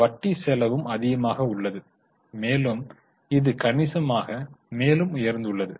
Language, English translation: Tamil, Interest cost is also high and it has gone up substantially